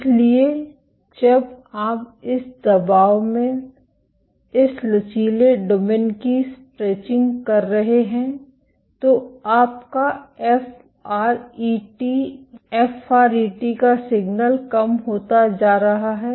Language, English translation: Hindi, So, when you have stretching of this elastic domain in this compression you are FRET is going to FRET signal is going to go low